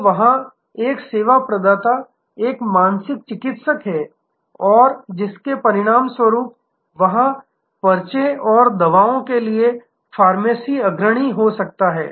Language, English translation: Hindi, So, there is a service provider is a mental therapist and as a result of, which there can be prescription and drugs leading to pharmacy